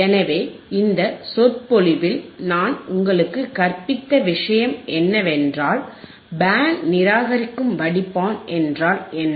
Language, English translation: Tamil, So, in the in the lecture right now, what I have taught you is, how we can, what is band reject filter